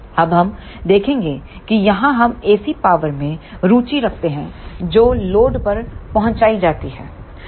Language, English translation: Hindi, Now, we will see that here we are interested in AC power that is delivered to the load